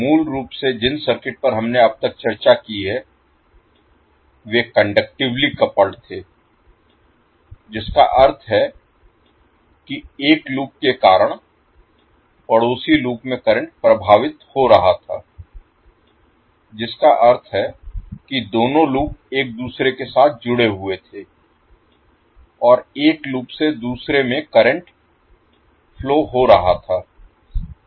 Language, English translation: Hindi, So basically the circuits which we have discussed till now were conductively coupled that means that because of one loop the neighbourhood loop was getting affected through current conduction that means that both of the lops were joint together and current was flowing from one loop to other